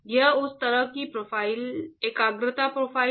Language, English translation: Hindi, That is the kind of concentration profile